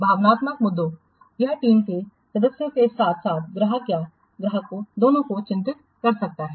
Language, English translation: Hindi, The emotional issues, it can concern both the team members as well as the customer or the clients